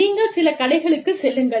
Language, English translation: Tamil, You go to some shops